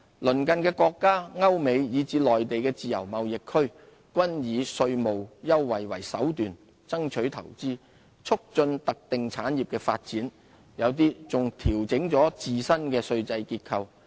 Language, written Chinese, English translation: Cantonese, 鄰近的國家、歐美、以至內地的自由貿易區均以稅務優惠為手段，爭取投資，促進特定產業的發展，有些還調整了自身的稅制結構。, Neighbouring countries European countries the United States and Free Trade Zones in the Mainland are using tax concession as a means to compete for investment and promote the development of targeted industries . Some countries have even adjusted their taxation structure